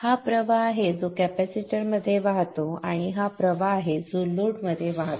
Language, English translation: Marathi, This is the current that flows into the capacitor and this is the current that flows into the load